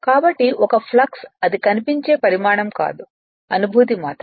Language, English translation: Telugu, So, a flux also it is not it is not visible quantity, only you feel it right